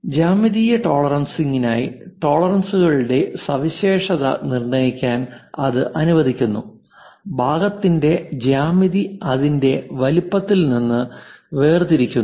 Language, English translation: Malayalam, For geometric tolerancing it allows for specification of tolerance, for geometry of the part separate from its size